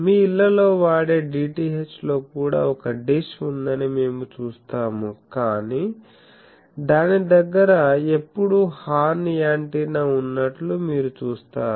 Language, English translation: Telugu, In your homes the DTH service there also we will see that there is a dish, but you see that near that there is always sitting a horn antenna